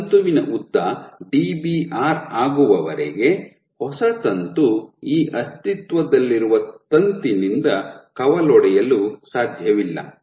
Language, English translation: Kannada, So, till this filament is of length Dbr, new filament cannot branch from this existing filament